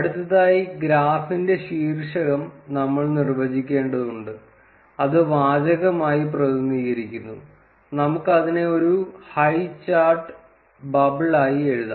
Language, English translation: Malayalam, Next, we would need to define the title for the graph, which is represented as text; and we can write it as highchart bubble